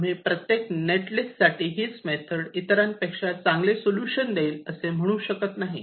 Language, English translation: Marathi, you cannot say that for any metlist that i give you, this method will give you the best solution, better than the other one